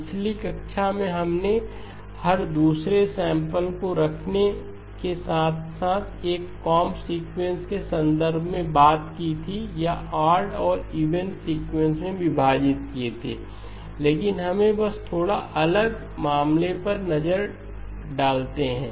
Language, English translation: Hindi, In the last class we talked about in the context of a comb sequence with keeping every other sample or we split into odd and even sequences, but let us just look at a slightly different case